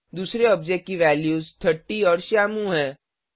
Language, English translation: Hindi, The second object has the values 30 and Shyamu